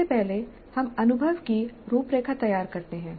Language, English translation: Hindi, First let us look at framing the experience